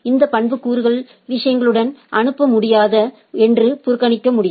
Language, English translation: Tamil, These attributes can be ignored and not passed along with the things